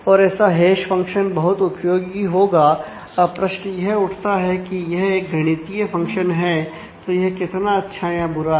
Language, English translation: Hindi, And; so, such a hash function would be really useful now the question is a it is a mathematical function; so, how good or how bad it is